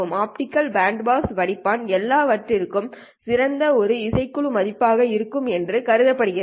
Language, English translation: Tamil, The optical band pass filter is assumed to be ideal and has the same band value for everything